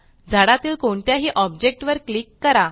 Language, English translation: Marathi, Now click on any object in the tree